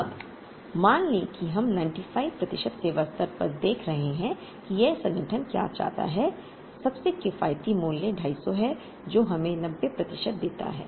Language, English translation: Hindi, Now, let us assume we are looking at 95 percent service level is what this organization wants, the most economical value is 250 which gives us 90 percent